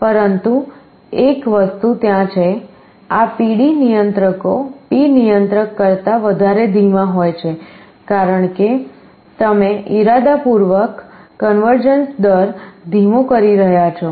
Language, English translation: Gujarati, But one thing is there; these PD controllers are slower than P controller, because you are deliberately slowing the rate of convergence